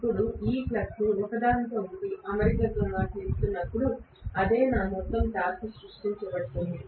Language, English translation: Telugu, Now, this flux, when they are aligning with each other that is what actually creates my overall torque